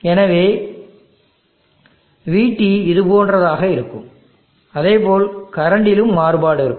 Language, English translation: Tamil, So the VT will be something like this and likewise there will be a variation in the current also